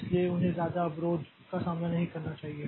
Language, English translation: Hindi, So, they should not face much blocking